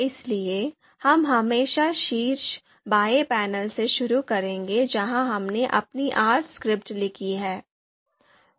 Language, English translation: Hindi, So always we are going to start from this top left panel where we have written our R script